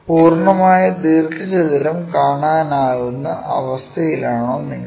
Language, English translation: Malayalam, Are you in a position to see the complete rectangle